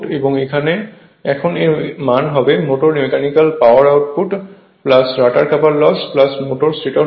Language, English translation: Bengali, Now input to the motor input to the motor mechanical power output plus the rotor couple loss plus the total stator loss